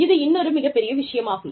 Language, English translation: Tamil, Another, very big thing